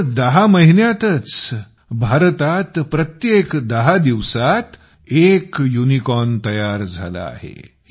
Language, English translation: Marathi, In just 10 months, a unicorn is being raised in India every 10 days